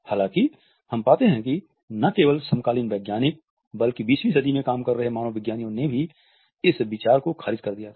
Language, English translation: Hindi, However, we find that not only the contemporary scientist, but also the anthropologist who were working in the 20th century had rejected this idea